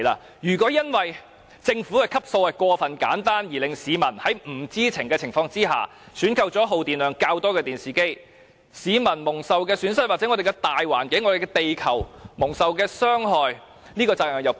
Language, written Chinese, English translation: Cantonese, 因此，如果政府的分級過於簡單，以致市民在不知情的情況下選購了耗電量較多的電視機，致令市民、我們的環境和地球蒙受損失和傷害，試問責任誰屬？, Thus if the Governments grading is too simple and consequently someone unknowingly buys a television with higher energy consumption causing personal loss and damaging our environment and planet who should bear the responsibility?